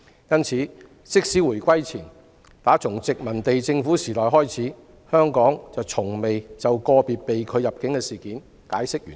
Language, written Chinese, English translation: Cantonese, 因此，自回歸前殖民地政府時代以來，香港從未就個別被拒入境個案解釋原因。, Hence since the colonial era before the handover Hong Kong has never provided any reasons for rejection in respect of individual cases